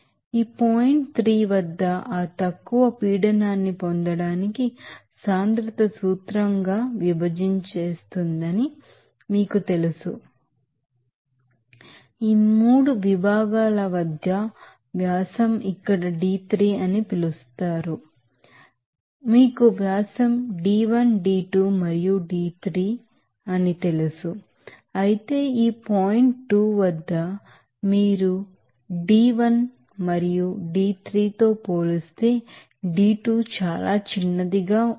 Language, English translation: Telugu, Whereas again from this you know conversion section, it will be converted to diverging as for that principle of density for getting that lower pressure at this point 3, you will see that the diameter is d3 here at this 3 sections, you will see the diameter are you know d1 d2 and d3 whereas at this point 2 you will see that d2 is very smaller compared to that d1 and d3